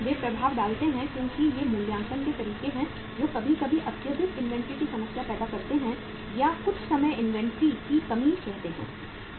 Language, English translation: Hindi, They make the impact because these are the valuation methods which uh sometime create the problem of excessive inventory or sometime the say shortage of the inventory